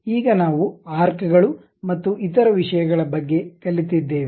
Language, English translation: Kannada, Now, we have learned about arcs and other thing